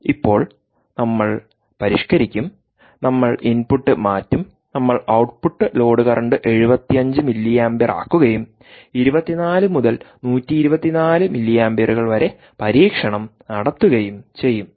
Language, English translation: Malayalam, now we will modify, we will change the input, we will, we will make the output load current to ah to seventy five milliamperes and conduct the experiment for ah twenty four to twenty hours, sorry, twenty four to hundred and twenty four milliamperes